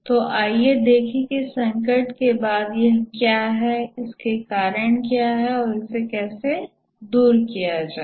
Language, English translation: Hindi, So let's see what is this software crisis, what causes it and how to overcome